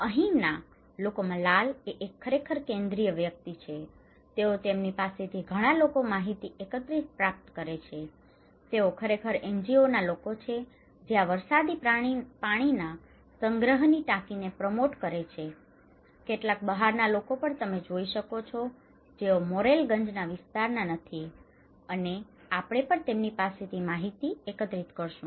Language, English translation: Gujarati, So, people here; the red one actually they are the central person, they receive a lot of people collecting informations from them, they are actually the NGO people those who are promoting this rainwater harvesting tank and also some outsiders, you can see some of the outsiders that is they do not belong to this Morrelganj area, we will also collect informations from them